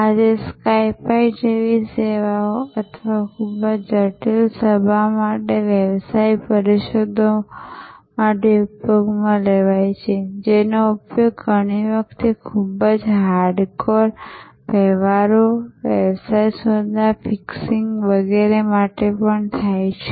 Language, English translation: Gujarati, Today, services like Skype or be used for business conferences for very critical meetings, even often used for very hardcore transactions, fixing of business deals and so on